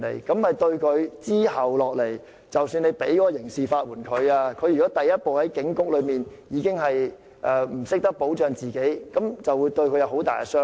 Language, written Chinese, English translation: Cantonese, 即使他日後可以獲得刑事法援，如果他第一步在警局內已不懂得保障自己，這會對他有很大傷害。, Even offered criminal legal aid subsequently it would be most detrimental to his case if he did not know how to protect himself in the first place inside the police station